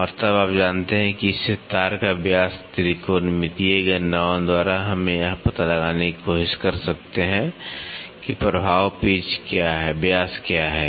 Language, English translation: Hindi, And, then you know thus the wire diameter from this by trigonometrical calculations we can try to figure out, what is the effect pitch diameter